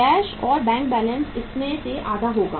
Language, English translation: Hindi, Cash and bank balance required will be half of this